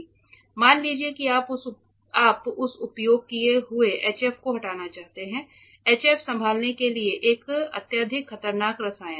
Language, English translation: Hindi, Suppose you want to remove that use HF; HF is a highly heavily dangerous chemical to handle